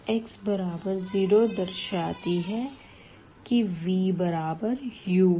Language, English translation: Hindi, x is equal to 0 implies v is equal to u